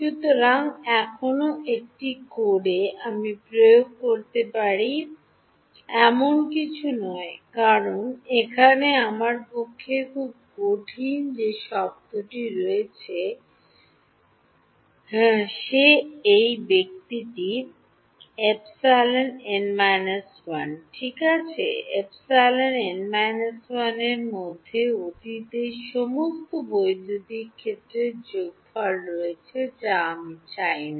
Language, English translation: Bengali, So, still this is not something I can implement on code because, the term over here which is very difficult for me is, this guy psi n minus 1 right; psi n minus 1 is has the sum of all past electric field which I do not want